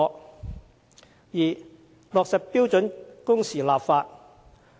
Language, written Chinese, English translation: Cantonese, 第二，落實標準工時立法。, Second enacting legislation for standard working hours